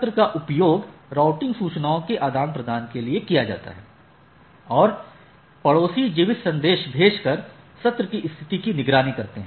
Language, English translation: Hindi, The season is used to exchange routing information and neighbors monitor the state of session by sending keep alive messages